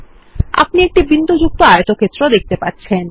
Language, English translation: Bengali, You will see a dotted rectangle